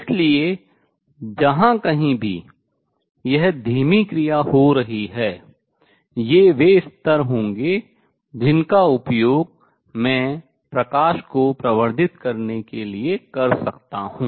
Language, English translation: Hindi, So, wherever this slow action taking place that is those are going to be the levels for which I can use to amplify the lights